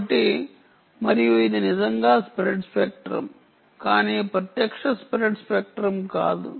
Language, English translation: Telugu, so, and it is indeed spread spectrum, but not direct spread spectrum